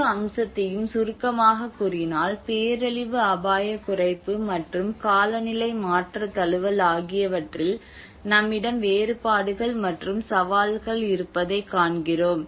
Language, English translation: Tamil, So to summarise whole aspect we see that differences and challenges we have disaster risk reduction and the climate change adaptation